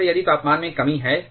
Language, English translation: Hindi, Like, if there is a reduction in the temperature